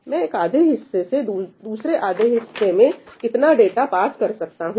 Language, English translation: Hindi, How much data I can pass from any one half to the other half